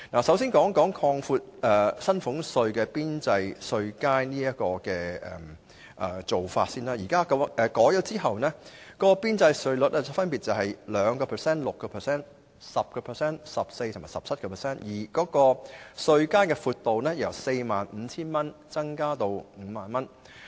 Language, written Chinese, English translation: Cantonese, 首先，關於擴闊薪俸稅的邊際稅階和調低邊際稅率，經修訂後的邊際稅率分別是 2%、6%、10%、14% 及 17%， 稅階由 45,000 元增加至 50,000 元。, First regarding the widening of marginal bands and lowering of marginal rates for salaries tax the revised marginal rates will be 2 % 6 % 10 % 14 % and 17 % respectively and the tax bands will be widened from 45,000 to 50,000 each